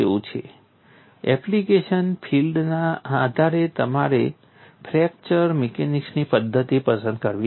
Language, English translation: Gujarati, So, depending on the application area you have to choose the methodology of fracture mechanics